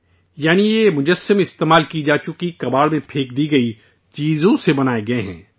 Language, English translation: Urdu, That means these statues have been made from used items that have been thrown away as scrap